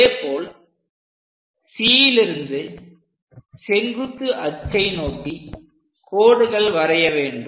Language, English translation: Tamil, Similarly, from C to draw a line, all the way to vertical axis